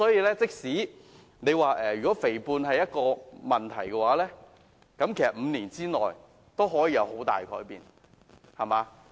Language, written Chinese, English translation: Cantonese, 假設肥胖真的是一個問題，其實5年內也可以有很大改變。, Suppose getting fat is really a problem then a person can have significant changes in five years